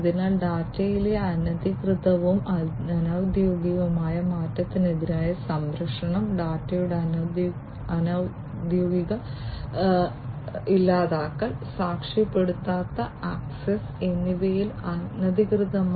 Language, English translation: Malayalam, So, protection against unauthorized, unofficial change in the data; unauthorized on unofficial deletion of the data and uncertified access